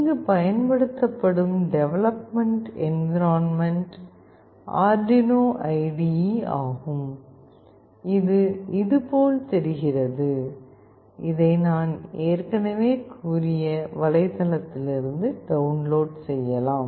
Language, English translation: Tamil, The development environment used is Arduino IDE, which looks like this, which can be downloaded from the website I have already discussed